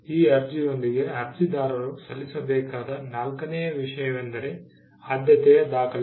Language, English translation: Kannada, The fourth thing the applicant has to file along with this application is the priority document